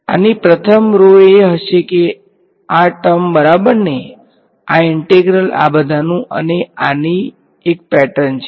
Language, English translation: Gujarati, The first row of this will be what these terms right this integral this integral all of this and there is a pattern to this